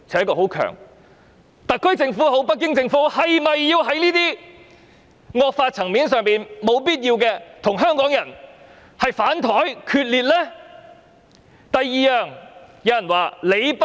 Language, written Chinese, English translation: Cantonese, 無論是特區政府也好，北京政府也好，是否要在這些惡法的層面毫無必要地與香港人"反檯"決裂呢？, Is it necessary for the government be it the SAR Government or the Beijing Government to fall out with Hong Kong people because of this draconian law?